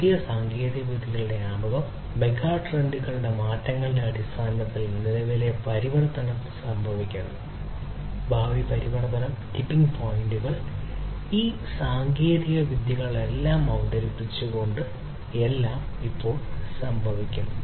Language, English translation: Malayalam, Introduction of newer technologies, transformation overall, current transformation in terms of changes in the megatrends that are happening, future transformation the tippling points, everything are happening at present with the introduction of all of these technologies